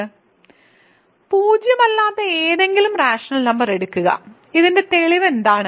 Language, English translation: Malayalam, So, take any non zero rational number what is the proof of this